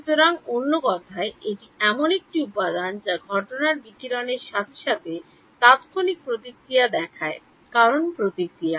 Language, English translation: Bengali, So, in other words, this is a material that reacts instantaneously to the incident radiation because the response is